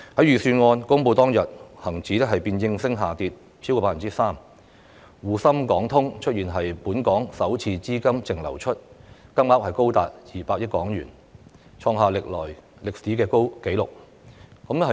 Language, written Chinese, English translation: Cantonese, 預算案公布當天，恒生指數便應聲下跌超過 3%， 滬港通和深港通出現本年首次資金淨流出，金額高達200億港元，創下歷史紀錄。, On the day the Budget was announced the Hang Seng Index dropped by over 3 % accordingly . Shanghai - Hong Kong Stock Connect and Shenzhen - Hong Kong Stock Connect also registered the first net capital outflows this year amounting to a record high of HK20 billion